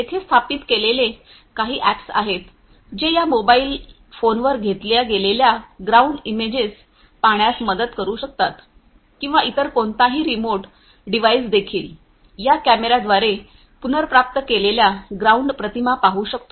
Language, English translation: Marathi, So, you know there are certain apps that are already installed here, which can help you to view the ground images that are being taken on this mobile phone or any other remote device can also you know show, the ground images that are retrieved through this camera